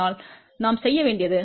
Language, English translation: Tamil, So, what we did, from 0